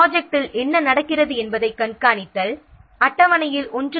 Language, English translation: Tamil, So, this requires monitoring of what is happening in the project